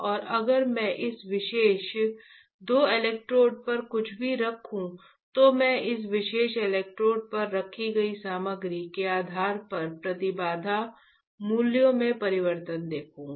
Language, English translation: Hindi, Now if I place anything on this particular two electrodes, I will see the change in the impedance values, depending on the material that I have placed on this particular electrodes, is not it